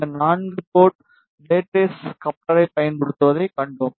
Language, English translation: Tamil, And then we saw that using this four port rat race coupler